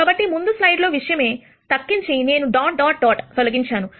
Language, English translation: Telugu, So, this is the same as the previous slide, except that I have removed the dot dot dot